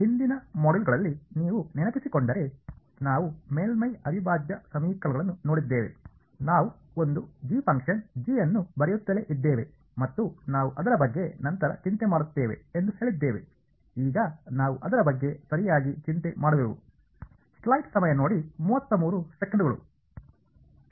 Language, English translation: Kannada, If you remember in the previous modules, we looked at the surface integral equations, we kept writing a g a function g and we said that we will worry about it later, now is when we worry about it right